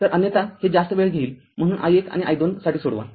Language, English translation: Marathi, So, otherwise it will consume more time; so, i 1 and i 2